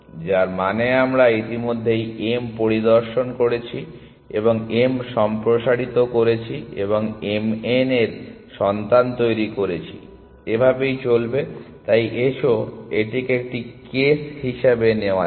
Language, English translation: Bengali, Which means we had already visited m and expanded m and generated children of m n, so on and so for, so let us take this as a case